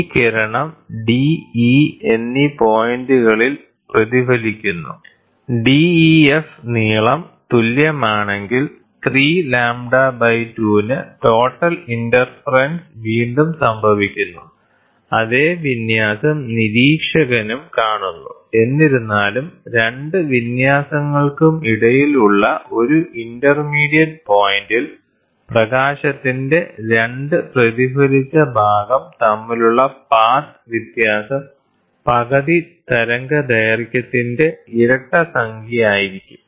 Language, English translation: Malayalam, This ray gets reflected at points d and e, if the length ‘def’ equals to 3 lambda by 2, then total in interference occurs again, and the same fringe is seen on by the observer; however, at an intermediate point between the 2 fringes, the path difference between the 2 reflected portion of the light will be an even number of half wavelength